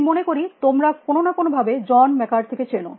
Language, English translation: Bengali, I think you all know John McCarthy for some form of another